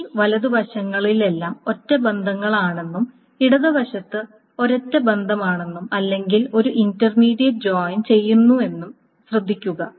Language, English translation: Malayalam, So note that all these right sides are the single relations and the left side is either a single relation or an intermediate joint